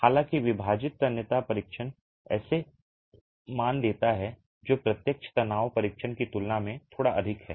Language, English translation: Hindi, However, the split tension test give values that are slightly higher than the direct tension test